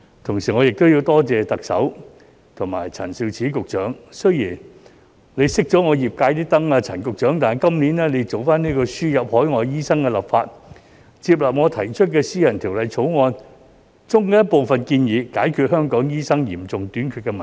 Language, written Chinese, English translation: Cantonese, 同時我亦要多謝特首和陳肇始局長，雖然陳局長熄了業界的燈，但今年做輸入海外醫生的立法，接納我提出的私人條例草案中的部分建議，解決香港醫生嚴重短缺的問題。, At the same time I must also thank the Chief Executive and Secretary Prof Sophia CHAN . While Secretary Prof CHAN has turned off the light of the catering industry the legislation on importing overseas doctors this year has absorbed some of the proposals in my private bill for resolving the severe doctor shortage in Hong Kong